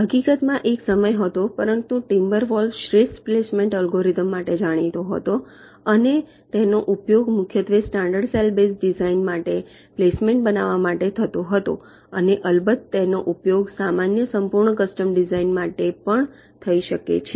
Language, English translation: Gujarati, in fact, there was a pointing time, for timber wolf has the best known placement algorithm and it was mainly used for creating placement for standard cell base designs and of course, it can be used for general full custom designs also